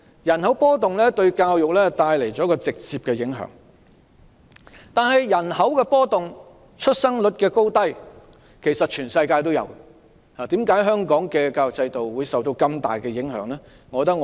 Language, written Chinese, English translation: Cantonese, 人口波動對教育帶來直接的影響，但其實全世界也有人口波動和出生率高低的情況，為何香港的教育制度會受到如此大的影響？, This has a direct impact on education . But in fact a fluctuating population and a low birth rate have been seen in many part of the world . Why has the education system in Hong Kong been so seriously affected?